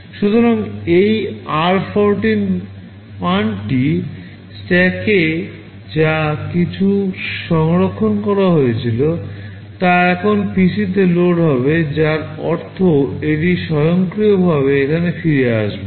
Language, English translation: Bengali, So, whatever this r14 value was saved in the stack that will now get loaded in PC, which means it will automatically return back here